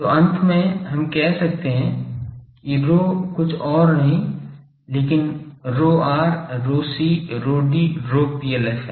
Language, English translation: Hindi, So finally, we can say that that rho is nothing but rho r rho c rho d rho PLF